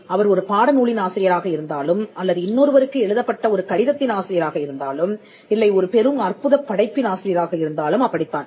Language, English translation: Tamil, It could be an author of a textbook, it be an author of an letter being sent to someone else, it could be author of a masterpiece